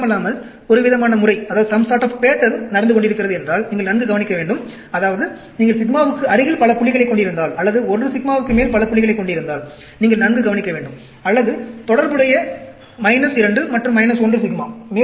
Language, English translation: Tamil, Not only that, but if there is some sort of a pattern that is happening, then, you need to better watch out; that means, if you have too many points near about to sigma, or if you have too many points above 1 sigma, you better watch out; or, corresponding minus 2 and minus 1 sigma